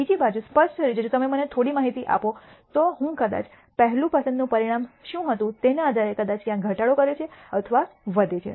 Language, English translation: Gujarati, On the other hand clearly, if you give me some information I am able to change the probably either decreases or increases depending on what was the outcome of the first pick